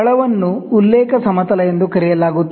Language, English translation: Kannada, The base called the reference plane